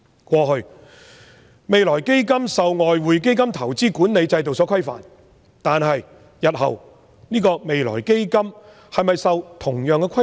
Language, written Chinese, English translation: Cantonese, 過去，未來基金受外匯基金投資管理制度所規範，但未來基金日後是否受同樣的規範？, In the past the use of the Future Fund was subject to the investment management regime of the Exchange Fund but will it be similarly regulated in the future?